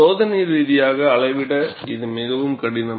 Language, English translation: Tamil, This is a very difficult to measure experimentally